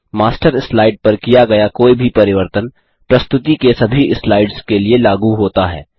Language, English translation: Hindi, Any change made to the Master slide is applied to all the slides in the presentation